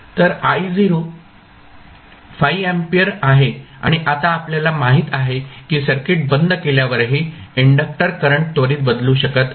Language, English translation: Marathi, So, I naught is nothing but 5 ampere and now we know that the inductor current cannot change instantaneously so even after switching off the circuit